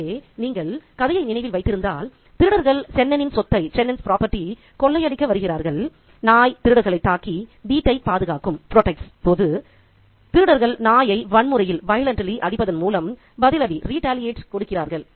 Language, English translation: Tamil, So, if you remember the story, the thieves come to rob Chenin's property and when the dog protects the home by attacking the thieves, the thieves in turn retaliate by violently beating the dog